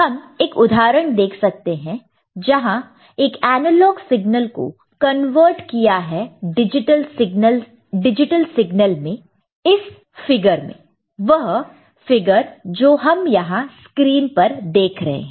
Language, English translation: Hindi, And we can see one example where an analog signal is converted to a digital signal in this particular figure; the figure that we see here in the screen